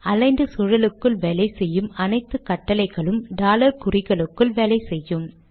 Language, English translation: Tamil, All commands that work in the aligned environment also work within the dollar symbols